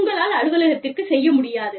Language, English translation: Tamil, You just cannot get to the office